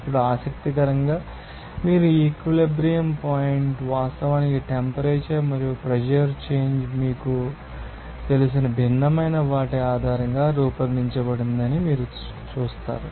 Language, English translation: Telugu, Now, interestingly you will see that these equilibrium points are actually plotted based on that different you know temperature and pressure change